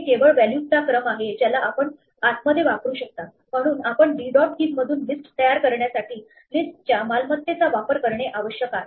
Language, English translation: Marathi, It is just a sequence of values that you can use inside of for, so we must use the list property to actually create a list out of d dot keys